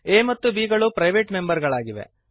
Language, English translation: Kannada, a and b are private members